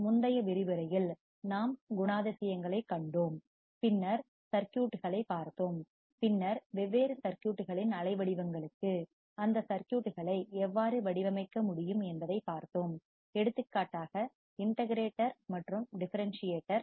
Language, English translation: Tamil, In the previous lecture, we have seen the characteristics, then we have seen the circuits, and then we have seen, how we can design those circuits for different generation of waveforms, for example, integrator and differentiator